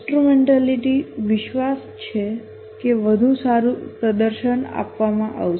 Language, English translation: Gujarati, Instrumentality, the belief that better performance will be rewarded